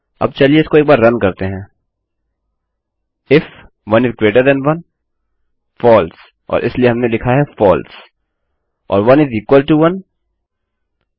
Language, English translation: Hindi, Now lets run through this once if 1 is greater than 1 false and so we have written false or 1 is equal to 1..